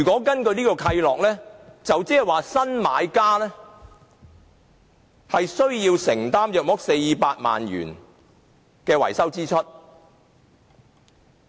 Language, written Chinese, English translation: Cantonese, 根據此契諾，新買家要承擔約400萬元的維修支出。, Under the covenant a maintenance expense of about 4 million shall be borne by the new buyer